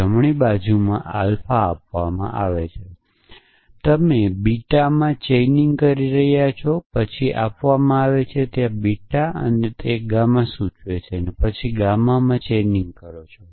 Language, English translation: Gujarati, So, the right end side given alpha, you are chaining into beta then given beta there is beta implies gamma then you chaining into gamma